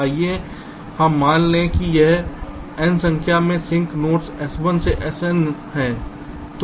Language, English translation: Hindi, lets assume that there are n number of sink nodes, s one to s n